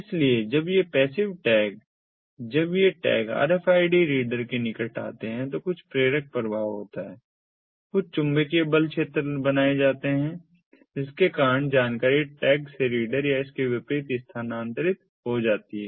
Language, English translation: Hindi, so, inductively, when these passive tags, when these tags come in proximity to the rfid reader, there is some inductive effect, some magnetic force fields are created, due to which the information is transferred from the tag to the reader or from the and and vice versa